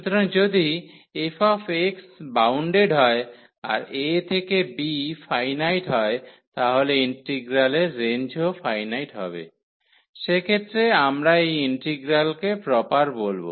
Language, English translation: Bengali, So, if this f x is bounded and a and b both are finite so, the range of the integral is finite in that case we call that this integral is proper